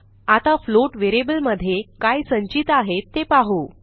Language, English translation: Marathi, Let us see what the float variable now contains